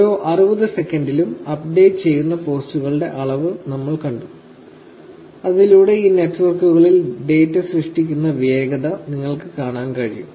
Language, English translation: Malayalam, We just saw the amount of posts that are updated in every 60 seconds with which is to show you the speed in which the data is getting generated on these networks